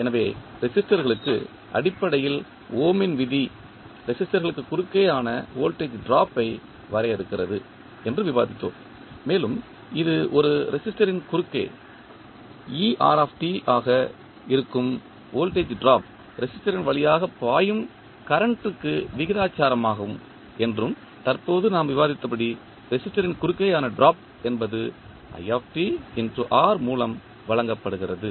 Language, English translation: Tamil, So, far resistors, we discussed that the Ohms law basically defines the voltage drop across the resistors and it says that the voltage drop that is er across a resistor is proportional to the current i flowing through the resistor and as we just discussed the drop across resistance is given by current i into resistance value R